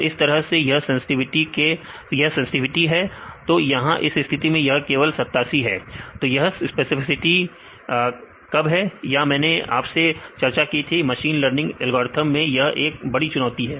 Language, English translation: Hindi, So, in this case this is the sensitivity; this is here in this case only 87; so, this is specificity is less; this I also I discussed one of the issues with the machine learning